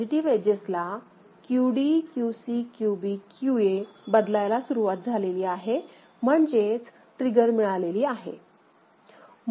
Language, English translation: Marathi, In the positive edges, it is QD QC QB QA, the values start changing right I mean, get triggered